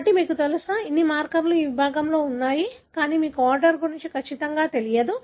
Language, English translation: Telugu, So, you know, all the markers are located within this segment, but you are not sure about the order